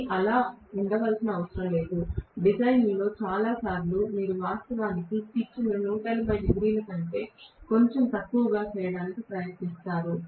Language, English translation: Telugu, But that need not be the case, most of the times in design; they try to actually make the pitch slightly less than 180 degrees